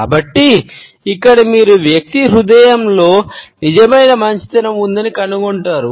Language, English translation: Telugu, So, here you would find that the person knows that there is a genuine warmth in the heart